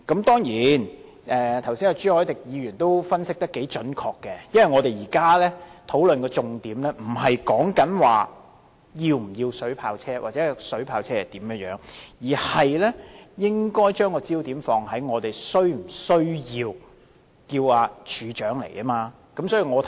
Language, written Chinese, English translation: Cantonese, 當然朱凱廸議員剛才也分析得頗準確，因為我們現在討論的重點，不是是否要購買水炮車或水炮車的性能、影響等，而是應否傳召處長出席立法會會議。, Certainly Mr CHU Hoi - dick has also made quite an accurate analysis just now . The focus of our discussion here is not on whether we are to purchase water cannon vehicles or the performance impacts etc . of such vehicles but rather on whether the Commissioner should be summoned to attend before this Council